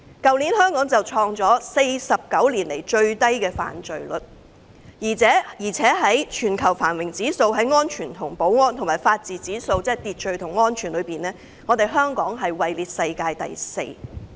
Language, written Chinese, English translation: Cantonese, 去年香港創下49年來最低犯罪率的紀錄，而且就全球繁榮指數和安全及法治指數而言，即在秩序和安全方面，香港名列世界第四。, Last year the crime rate in Hong Kong was the lowest in 49 years . In terms of global prosperity safety and rule of law indices Hong Kong ranks fourth in the world because Hong Kong has a professional Police Force